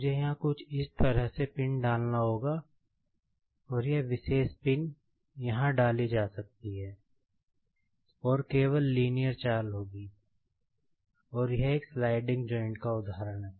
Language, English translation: Hindi, Say, I will have to insert a pin something like this here, and this particular pin can be inserted here and there will be only the linear movement, and this is the example of one sliding joint